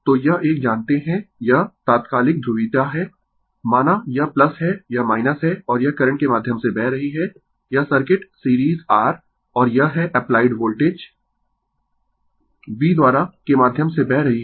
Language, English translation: Hindi, So, this one you know this is instantaneous polarity says, this is plus this is minus right, and your this current is flowing through your flowing through this circuit series R and this is the by applied Voltage V